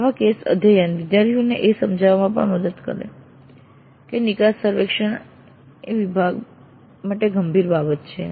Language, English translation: Gujarati, Such case studies would also help convince the students that the exit survey is a serious business for the department